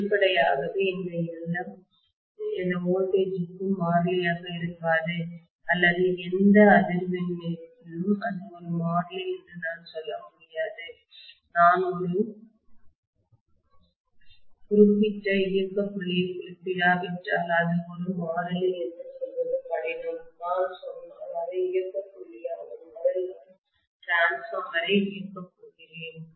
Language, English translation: Tamil, So, obviously this Lm will not be a constant for any voltage or any frequency I can’t say it will be a constant, it is difficult to say that it will be a constant unless I specify a particular operating point, if I say this is the operating point, at which I am going to operate my transformer upon